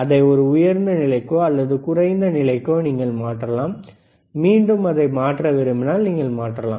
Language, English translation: Tamil, You can change the to whether it is a high level, or you can change it to low level, again if you want to change it you can see